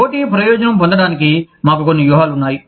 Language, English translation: Telugu, In order to attain, competitive advantage, we have some strategies